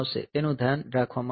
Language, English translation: Gujarati, So, that it is taken care of